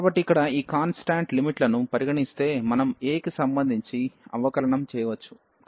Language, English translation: Telugu, So, here treating these constant limits, we can just differentiate with respect to a